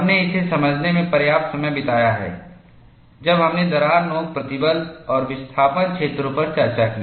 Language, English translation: Hindi, We have spent ample time in understanding this, when we discuss crack tip stress and displacement fields